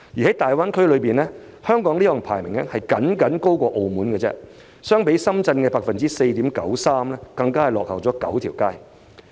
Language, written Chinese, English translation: Cantonese, 在大灣區內，香港的有關排名僅高於澳門，相比深圳的 4.93% 更是大幅落後。, In the Greater Bay Area Hong Kongs ranking is only higher than Macao but lags substantially behind Shenzhen where the RD expenditure accounted for 4.93 % of GDP